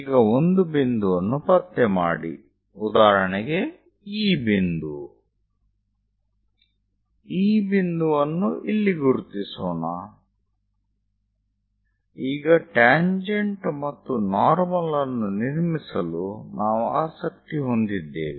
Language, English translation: Kannada, Now locate a point, for example, this one; let us mark this point here, I am interested to construct tangent and normal